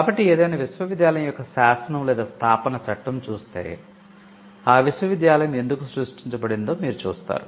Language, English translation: Telugu, So, you will see that the statute or the establishing enactment of any university would mention the reason, why the university was created